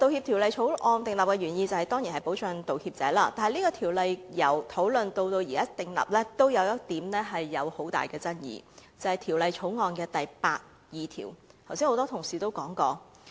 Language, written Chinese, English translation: Cantonese, 《條例草案》訂立的原意當然是保障道歉者，但這項《條例草案》由討論至現時訂立，仍有一點極大爭議，即《條例草案》第82條，剛才有多位同事也提到。, The Bills original intent is to protect the apology makers of course . However from the very beginning of the discussion to this moment when the Bill is going to be enacted a major point of controversy remains unresolved that is clause 82 of the Bill . Many Members have mentioned this just now